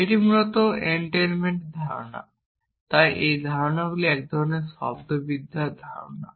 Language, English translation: Bengali, That is notion of entailment essentially, so these concepts are kind of semantics concepts